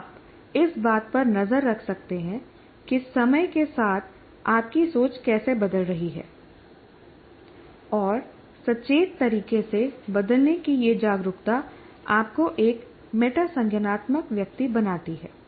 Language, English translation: Hindi, And this awareness of the changing with over time in a conscious way is makes you a metacognitive person